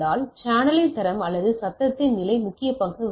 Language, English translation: Tamil, So, quality of the channel or the level of noise plays a important role